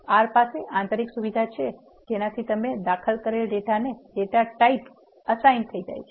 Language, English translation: Gujarati, R has inbuilt characteristic to assign the data types to the data you enter